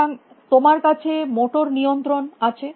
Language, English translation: Bengali, So, you have motor control of